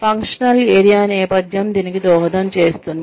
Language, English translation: Telugu, Functional area background will contribute to this